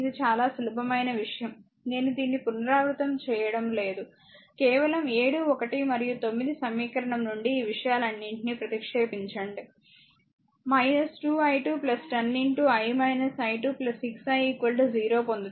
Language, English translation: Telugu, You substitute all this thing this is very simple thing I am not repeating this, just from equation 7, 1 and 9 you will get just substitute all these thing, you will get ah all minus 2 i 2 plus 10 into I minus i 2 plus 6 i is equal to 0, right